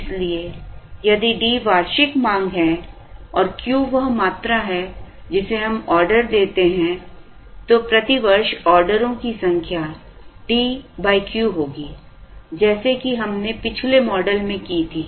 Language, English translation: Hindi, So, if D is the annual demand and Q is the quantity that we order, the number of orders per year will be D by Q, like we did in the previous model